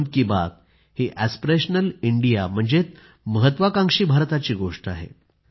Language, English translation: Marathi, Mann Ki Baat addresses an aspirational India, an ambitious India